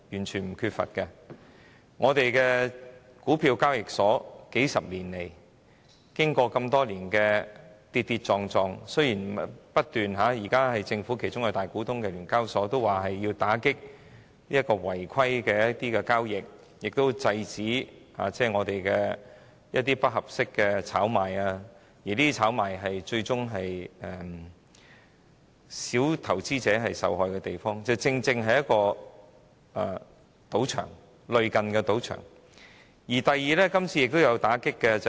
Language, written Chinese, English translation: Cantonese, 香港股票交易所經過數十年的跌跌撞撞，儘管由政府作為大股東的聯交所現時表示要打擊違規交易，並且遏止不合適的炒賣活動，但交易所正是類近賭場的地方，因為股票炒賣最終會導致小投資者受害。, After decades of ups and downs the Stock Exchange of Hong Kong Limited with the Hong Kong Government as its major shareholder has vowed to crack down on illicit trading and curb inappropriate speculative activities . However the stock exchange is very much like a casino as speculation on stocks will ultimately harm small investors